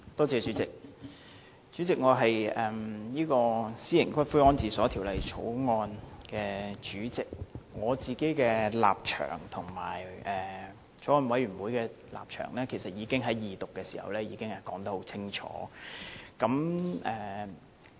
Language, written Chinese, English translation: Cantonese, 主席，我是《私營骨灰安置所條例草案》委員會主席，我自己的立場和法案委員會的立場其實已在二讀時說得很清楚。, Chairman I am the Chairman of the Bills Committee on Private Columbaria Bill . In fact during the Second Reading I already stated my own position and that of the Bills Committee clearly